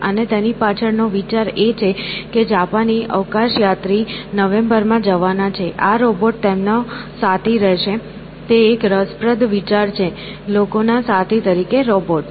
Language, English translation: Gujarati, And, the idea is that this robot will be a companion for a Japanese astronaut who is scheduled to go in November sometime; and, that is an interesting idea, robots as companions of people